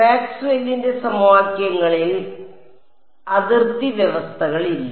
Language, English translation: Malayalam, No the boundary conditions in Maxwell’s equations